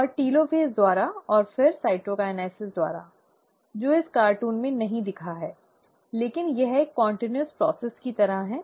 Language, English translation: Hindi, And, by the telophase, and then, followed by cytokinesis, which have not shown in this cartoon, but it is like a continuous process